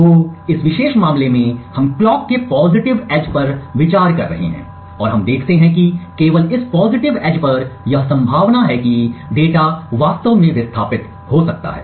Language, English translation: Hindi, So, in this particular case we are considering the positive edge of the clock and we see that only on this positive edge it is likely that the data actually transitions